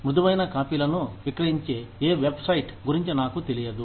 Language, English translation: Telugu, I am not aware of any website, that sells soft copies